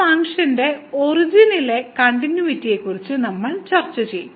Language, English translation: Malayalam, And we will discuss the continuity of this function at the origin